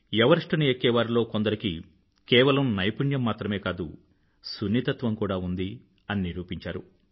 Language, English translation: Telugu, There are some mountaineers who have shown that apart from possessing skills, they are sensitive too